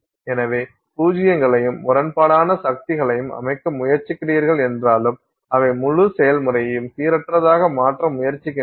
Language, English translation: Tamil, So, even though you are trying to set zeros and ones, you have conflicting forces which are trying to, you know, randomize the whole process